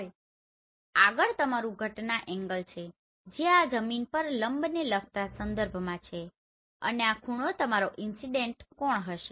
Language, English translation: Gujarati, Now next is your incident angle this is with respect to perpendicular on the ground and this angle will be your incident angle